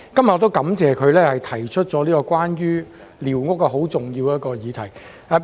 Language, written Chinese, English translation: Cantonese, 我感謝他今天提出寮屋這項重要的議題。, I wish to thank him for bringing up this important issue concerning squatter structures today